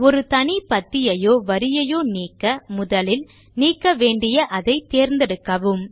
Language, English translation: Tamil, For deleting a single column or a row, first select the column or row you wish to delete